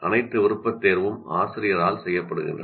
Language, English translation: Tamil, So all the choices are made by the teacher